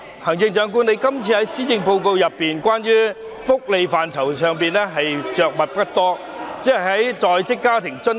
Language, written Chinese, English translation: Cantonese, 行政長官，在這份施政報告中，你對福利範疇着墨不多，只是就在職家庭津貼......, Chief Executive you have not devoted much coverage to welfare in the Policy Address you only mentioned the Working Family Allowance